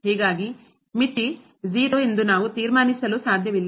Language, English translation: Kannada, Thus, we cannot conclude that the limit is 0